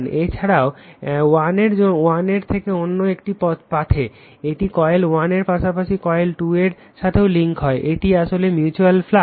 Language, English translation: Bengali, In addition to that, phi 1 to another path right, it will all it will phi 1 to also link phi coil 1 as well as your coil 2, this is actually mutual flux